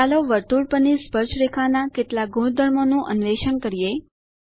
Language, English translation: Gujarati, lets explore some of the properties of these Tangents to the circle